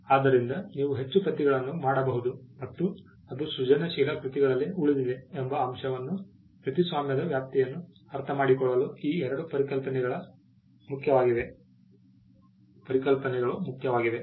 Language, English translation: Kannada, So, these two concepts are important to understand the scope of copyright the fact that you can make more copies and it subsists in creative works